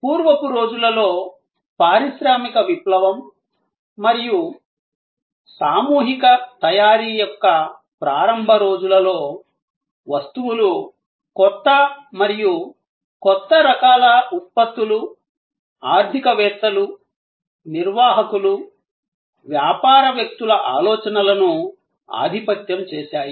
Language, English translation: Telugu, In the hay days, in the early days of industrial revolution and emergence of mass manufacturing, goods newer and newer types of products dominated the thinking of economists, managers, business people